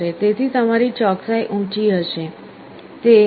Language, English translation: Gujarati, So, your accuracy will be higher, 0